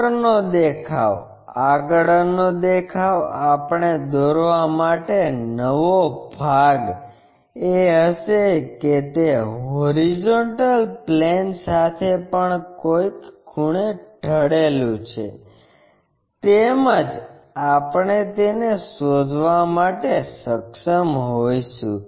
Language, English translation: Gujarati, The top view front view we will be new portion to draw and it is inclination angle with hp also we will be in your position to find it